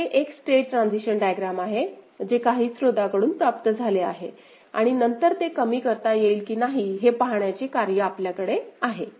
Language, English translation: Marathi, So, this is one state transition diagram ok, that has been obtained from some source right and then, we have a job, we have a job to see whether it can be minimized or not